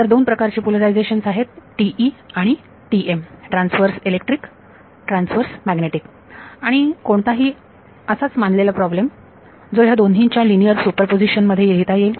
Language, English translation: Marathi, So, there are 2 polarizations TE and TM Transverse Electric Transverse Magnetic and any problem any arbitrary problem can be written as a linear superposition of both of these